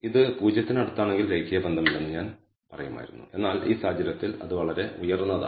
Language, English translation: Malayalam, If it is close to 0 I would have said there is no linear relationship, but it is in this case it is very high